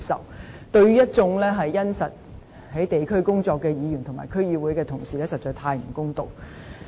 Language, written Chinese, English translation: Cantonese, 這對一眾殷實地在地區工作的議員和區議會的同事實在太不公道。, This is indeed most unfair to members and colleagues of DCs working in the districts